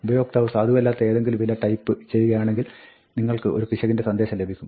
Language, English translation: Malayalam, If the user does not type some, something valid, then you will get an error